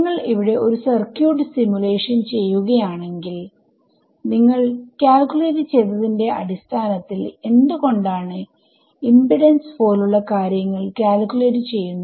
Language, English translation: Malayalam, If you are doing a circuit simulation here is why you would calculate things like impedance of whatever right based on what you have calculated